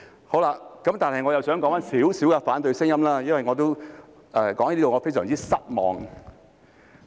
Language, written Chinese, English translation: Cantonese, 可是，我又想談談一些反對聲音，因為我感到非常失望。, Yet I also wish to talk about some opposition views because I have found them grossly disappointing